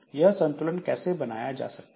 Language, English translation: Hindi, Now, how to make a balance